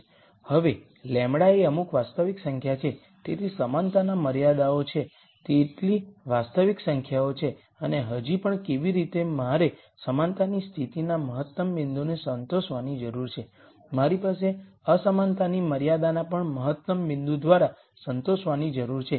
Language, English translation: Gujarati, Now the lambda is some real number, so as many real numbers as there are equality constraints and much like how I still need to have this equality condition satis ed the optimum point, I need to have the inequality constraint also to be satisfied by the optimum point